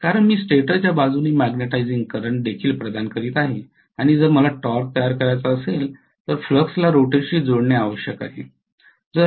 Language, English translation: Marathi, Because I am providing the magnetizing current also from the stator side and necessarily that flux has to link with the rotor if I want to generate a torque